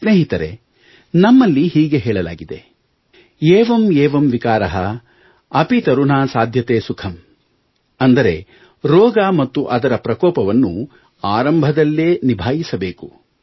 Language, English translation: Kannada, Friends, we have an adage" Evam Evam Vikar, api tarunha Saadhyate Sukham"… which means, an illness and its scourge should be nipped in the bud itself